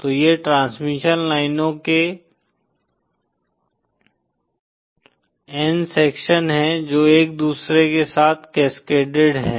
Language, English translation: Hindi, So these are n sections of transmission lines cascaded with each other